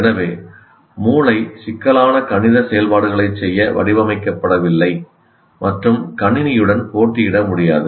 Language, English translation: Tamil, So brain is not designed to perform complex mathematical operations and cannot be in competition with the computer